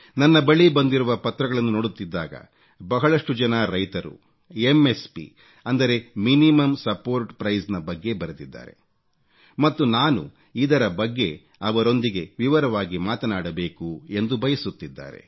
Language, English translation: Kannada, I have received a number of letters in which a large number of farmers have written about MSP and they wanted that I should talk to them at length over this